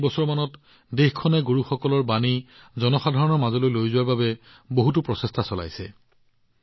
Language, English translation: Assamese, In the last few years, the country has made many efforts to spread the light of Gurus to the masses